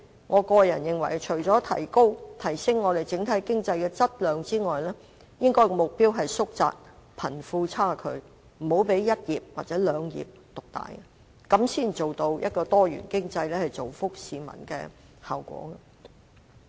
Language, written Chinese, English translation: Cantonese, 我認為除了提升香港整體經濟的質量之外，亦應該縮窄貧富差距，不要讓一兩個產業獨大，這樣才能達到多元經濟造福市民的效果。, In my view apart from enhancing the overall economic development of Hong Kong in terms of quality and quantity the wealth gap should be narrowed and domination by one or two industries should not be allowed . Then a diversified economy will have the effect of bringing benefits to the public